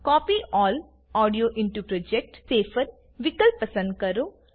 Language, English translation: Gujarati, Select Copy All Audio into Project option